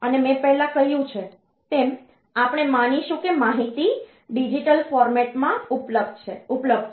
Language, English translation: Gujarati, And as I have already said that, we will assume that information is available in the digital format